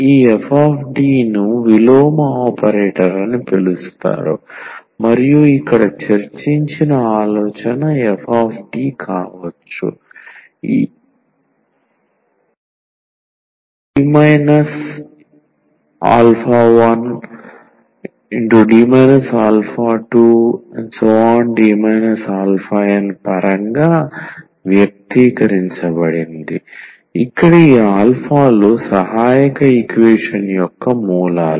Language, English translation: Telugu, So, this f D is called the inverse operator and the idea here which was already discussed that is f D can be expressed in terms of this D minus alpha 1, D minus alpha 2 and so on D minus alpha n where these alphas are the roots of the auxiliary equation